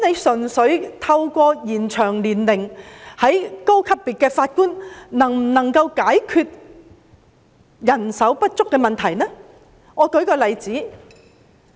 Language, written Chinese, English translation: Cantonese, 純粹透過延展高級別法院法官的退休年齡，是否能夠解決人手不足的問題呢？, Can we solve the problem of insufficient manpower merely by extending the retirement age of Judges of higher courts?